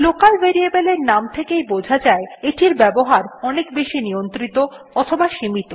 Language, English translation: Bengali, Local Variables , which as the name suggests have a more restricted or limited availability